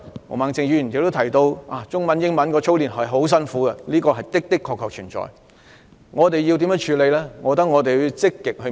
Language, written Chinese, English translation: Cantonese, 毛孟靜議員剛才提到，操練中英文很辛苦，這個問題確實存在，但該如何處理這個問題？, Ms Claudia MO has mentioned that it is very hard work to be drilled in Chinese and English . There is indeed such a problem . How do we deal with it?